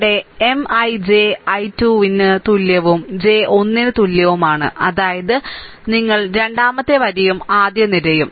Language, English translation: Malayalam, So, here M I j, i is equal to 2 and j is equal to 1 right; that means, you you second row and the first column